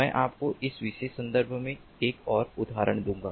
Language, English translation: Hindi, i will give you one more example in this particular context